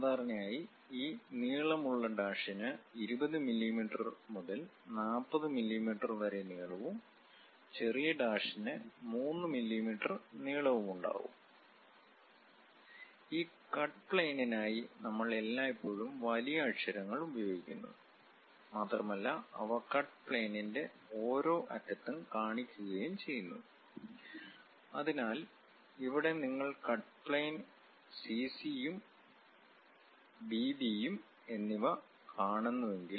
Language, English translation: Malayalam, Usually this long dash will have around 20 mm to 40 mm in length and short dash usually have a length of 3 mm; and for this cut plane, we always use capital letters and these are placed at each end of the cut plane; so, here if you are seeing cut plane C and C and B and B